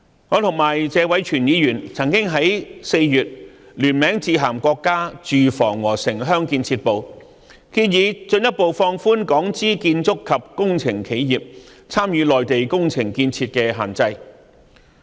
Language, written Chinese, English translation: Cantonese, 我與謝偉銓議員曾經在4月聯名致函國家住房和城鄉建設部，建議進一步放寬港資建築及工程企業參與內地工程建設的限制。, In April Mr Tony TSE and I jointly wrote to the State Ministry of Housing and Urban - Rural Development proposing that the restrictions on Hong Kong - funded construction and engineering enterprises participating in construction and development projects in the Mainland be further relaxed